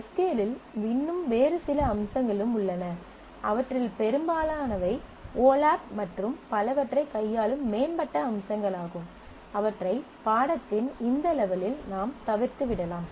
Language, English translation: Tamil, So, there is the quite a few other features of SQL as well majority of them are advanced features dealing with olap and several others, which I chose to skip at this level of the course